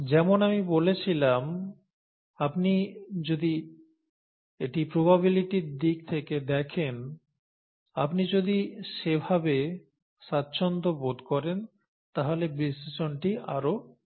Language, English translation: Bengali, It is, as I said, if you look at it in terms of probabilities, if you are comfortable that way, then it becomes much easier to do the analysis